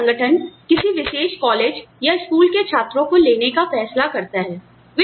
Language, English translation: Hindi, If an organization decides to take in students, from a particular college or a school